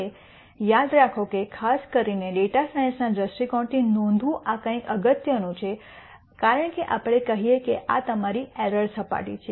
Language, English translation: Gujarati, Now, remember this is something important to note particularly from a data science viewpoint because let us say this is your error surface